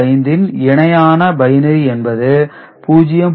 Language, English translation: Tamil, 625, it is corresponding binary equivalent is 0